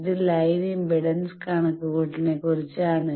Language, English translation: Malayalam, This is about line impedance calculation